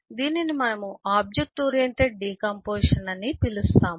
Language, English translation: Telugu, in contrast, we can do an object oriented decomposition